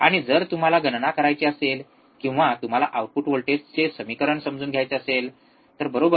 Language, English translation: Marathi, And if you want to calculate, or if you want to understand what was the equation of the output voltage, right